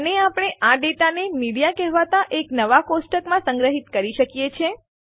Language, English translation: Gujarati, And we can store this data in a new table called Media